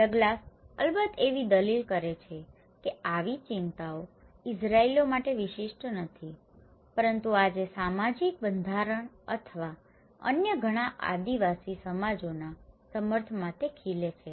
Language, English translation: Gujarati, Douglas was, of course, arguing that such concerns are not unique to the Israelis but thrive today in support of social structure or many other tribal societies